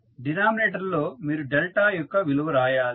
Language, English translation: Telugu, In the denominator you will write the value of delta